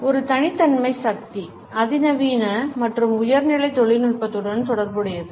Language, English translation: Tamil, It is associated with exclusivity, power, sophistication as well as high end technology